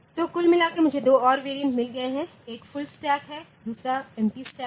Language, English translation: Hindi, So, overall, I have got two more variants one is full stack another is empty stack